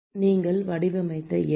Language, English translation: Tamil, number you designed